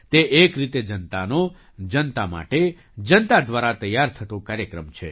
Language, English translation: Gujarati, In a way, this is a programme prepared by the people, for the people, through the people